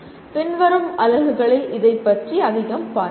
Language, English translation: Tamil, We will be seeing more of this in later units